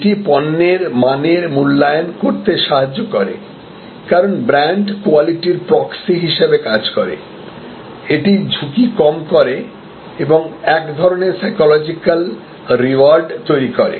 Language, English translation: Bengali, It helps to evaluate quality of products, because brand scans as a proxy for quality, it reduces perceived risk and create some kind of psychological reward